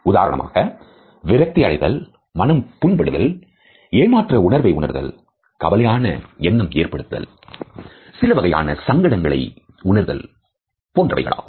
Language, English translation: Tamil, For example, of being frustrated, feeling hurt, being disappointed in certain situation, feeling worried or feeling some type of an embarrassment